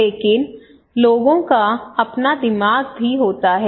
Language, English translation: Hindi, But people have their own mind also